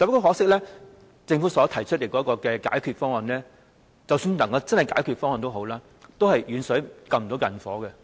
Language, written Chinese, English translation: Cantonese, 可惜，政府所提出的解決方案，即使能夠解決問題，都只是"遠水不能救近火"。, Unfortunately the Government has proposed solutions which even if they can solve the problems are remedies too remote to address the immediate emergency